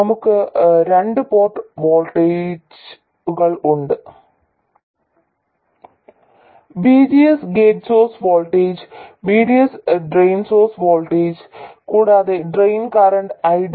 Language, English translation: Malayalam, And we have the two port voltages VGS, gate source voltage and VDS drain source voltage